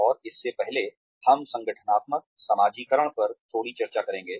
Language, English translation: Hindi, And before that, we will have a little bit of discussion on, organizational socialization